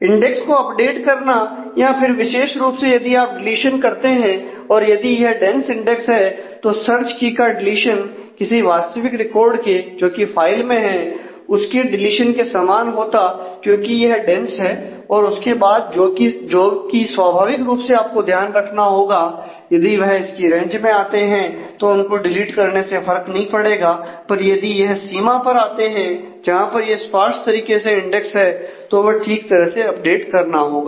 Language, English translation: Hindi, So, updating the index particularly if you do deletion then the if it is a dense index then the deletion of the search key is similar to deletion of the actual record in the file because it is dense if these parts, then naturally you will have to take care of some of the cases, because if it falls within a range then just deleting it would not matter, but if it falls on the boundary where it is actually sparsely indexed then that will have to be appropriately updated